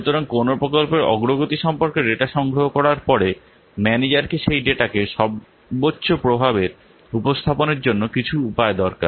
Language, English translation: Bengali, So, after collecting the data about the progress of a project, the manager, he needs some way of presenting that data to the greatest effect